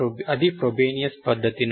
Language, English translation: Telugu, That is from the Frobenius method